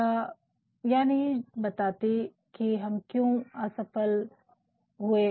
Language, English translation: Hindi, It does not talk about, why we have failed